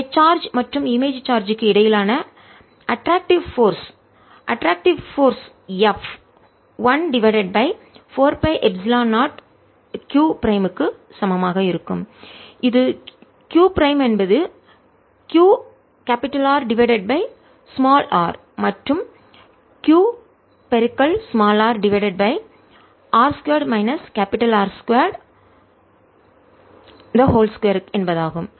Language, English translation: Tamil, and therefore the attractive force between the charge and the image charge attractive force f is going to be equal to one over four pi epsilon zero q prime, which is q r over r times q over the distance square, which is nothing but r square minus r square square, and r square will go on top